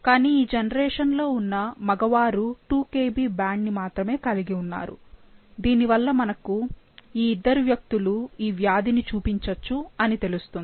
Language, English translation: Telugu, But the males in the generation have only a 2 Kb band which, which hints us that these two individuals might show the disease, might manifest the disease